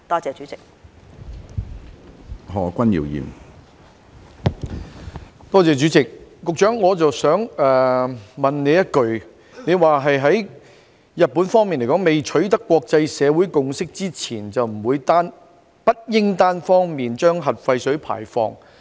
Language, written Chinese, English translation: Cantonese, 主席，我想問局長，她剛才表示，在國際社會未有共識前，日本當局不應單方面排放核廢水。, President I have a question for the Secretary . She has just mentioned that the Japanese authorities should not discharge the nuclear wastewater unilaterally without the consensus of the international community